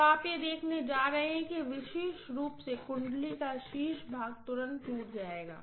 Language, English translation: Hindi, So you are going to see that specially the top portion of the winding will rupture right away